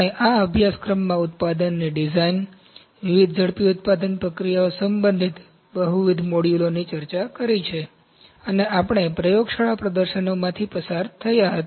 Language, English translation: Gujarati, We have discussed multiple modules in this course regarding, design of the product, different rapid manufacturing processes, and we had been through the laboratory demonstrations